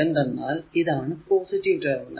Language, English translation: Malayalam, So, it is it is entering into the positive terminal